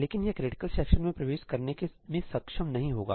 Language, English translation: Hindi, But it will not be able to enter the critical section